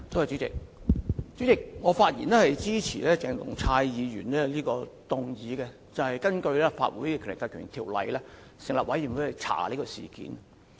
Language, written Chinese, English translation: Cantonese, 主席，我發言支持鄭松泰議員的議案，根據《立法會條例》成立專責委員會調查事件。, President I speak in support of Dr CHENG Chung - tais motion to set up a select committee to inquire into the incident under the Legislative Council Ordinance